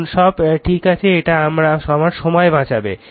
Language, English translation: Bengali, Now all are correct it will save my time